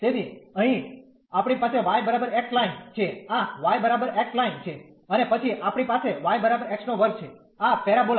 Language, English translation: Gujarati, So, here we have y is equal to x line, this y is equal to x line and then we have y is equal to x square this parabola